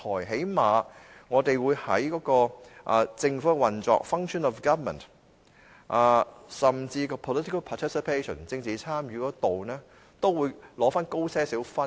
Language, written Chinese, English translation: Cantonese, 起碼我們會在政府運作，甚至政治參與方面都會取得較高分數。, At least we can get higher scores in how the government functions and political participation